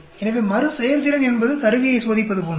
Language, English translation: Tamil, So, Repeatability is more like testing the instrument